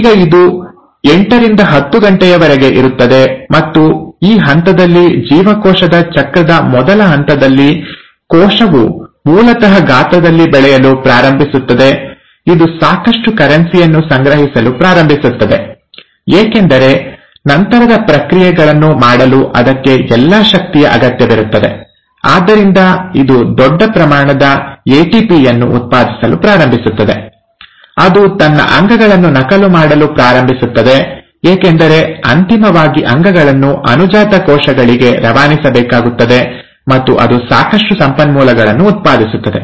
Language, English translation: Kannada, Now it is, it lasts anywhere about eight to ten hours and in this phase, the very first phase of the cell cycle, the cell basically starts growing in size, it starts accumulating enough currency, because it will need all that energy to do the subsequent processes, so it starts generating a large amount of ATP, it starts duplicating it's organelles because eventually the organelles have to be passed on to the daughter cells, and it generates enough resources